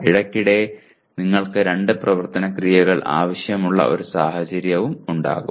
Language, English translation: Malayalam, Occasionally you will have a situation where two action verbs are required